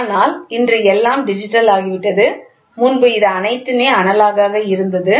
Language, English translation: Tamil, Today everything has become digital, earlier it was an all analogous